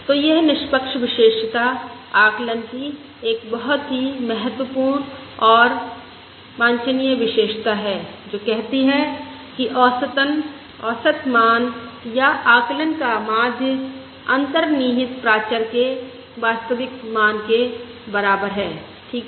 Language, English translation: Hindi, this unbiased property is a very important and desirable property of the estimate, which says that, on an average, the average value or the mean of the estimate is equal to the true value of the underlying parameter